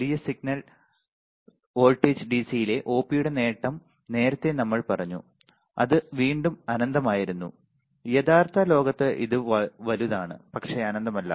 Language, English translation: Malayalam, Large signal voltage gain the gain of the Op amp at DC right earlier we said and that again was infinite, in real world is it is large, but not infinite